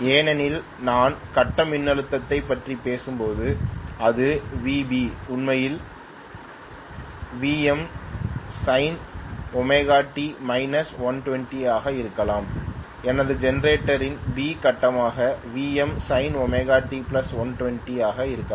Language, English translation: Tamil, Because when I am talking about the grid voltage may be it is Vb is actually Vm fine omega T minus 120, may be my B phase what I am thinking as B phase in my generator will be Vm fine omega T plus 120